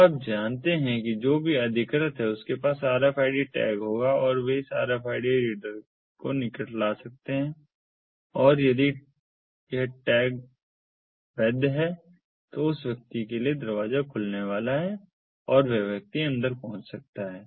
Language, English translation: Hindi, so you know whoever is authorized will be having an rfid tag and they can bring it in close proximity to the rfid reader and if it is a valid tag, then the person, the door is going to open for that person and the person can get in